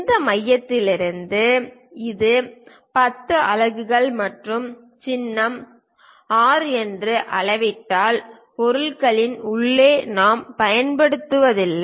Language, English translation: Tamil, From this center if I am measuring that it is of 10 units and symbol is R because we do not use inside of the object